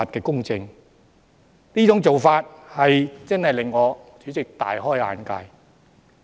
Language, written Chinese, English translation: Cantonese, 代理主席，這種做法真的令我大開眼界。, Deputy President such an approach is indeed an eye - opener to me